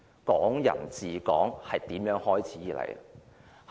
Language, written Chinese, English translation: Cantonese, "港人治港"是如何開始？, What was the origin of Hong Kong people ruling Hong Kong?